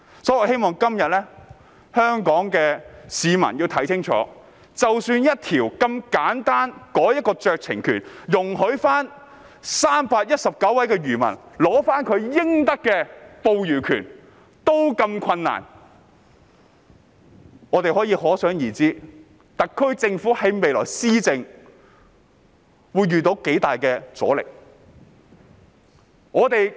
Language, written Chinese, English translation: Cantonese, 因此，我希望香港市民今天要看清楚，即使只是一項有關酌情權的簡單條文，容許319位漁民取回應得的捕魚權也這麼困難，可想而知特區政府未來施政會遇到多麼大的阻力。, Hence I hope the people of Hong Kong will see this clearly today . This is merely a simple provision on conferring discretionary power to allow 319 fishermen to regain their fishing rights yet it has been made so difficult . We can imagine the great resistance the SAR Government may face in governance in future